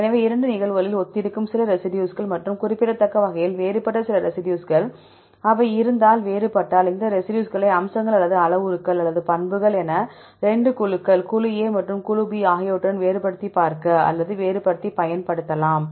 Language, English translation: Tamil, So, some residues which are similar in both the cases and some residues which are significantly different, if they are different then we can use these residues as features or the parameters or the properties to discriminate or distinguish between these to 2 groups, group A and group B